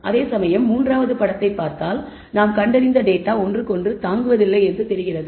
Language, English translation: Tamil, Whereas, if you look at the third figure the data that we find seems to be having no bearing on each other